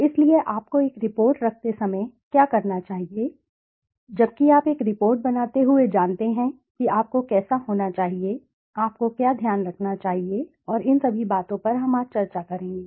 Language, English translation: Hindi, So, what should you do while keeping a report, while you know making a report, how should you, what should you keep in mind and all these things we will discuss it today